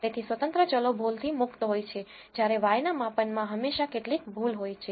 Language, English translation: Gujarati, So, independent variables are free of errors whereas, there is always some error present in the measurement of y